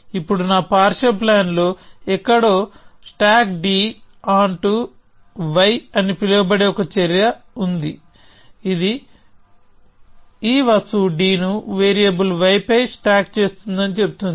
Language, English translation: Telugu, And now somewhere in my partial plan, there is a action floating around called stack d onto y which says that you stack this object d onto some variable y